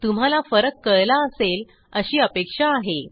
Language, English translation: Marathi, Hope the difference is clear to you